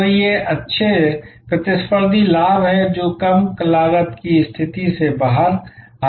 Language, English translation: Hindi, So, these are good competitive advantage that come out of the low cost position